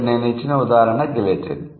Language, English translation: Telugu, The example given here is guillotine